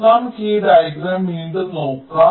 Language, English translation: Malayalam, so let us look at this diagram again